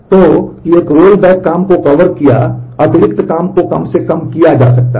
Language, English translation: Hindi, So, that covered a rollback work the extra work can be minimized